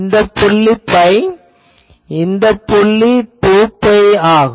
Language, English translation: Tamil, This point is pi; this point is 2 pi etc